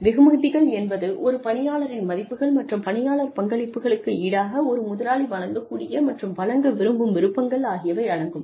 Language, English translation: Tamil, Rewards include, anything an employee, values and desires, that an employer is, able and willing to offer, in exchange for employee contributions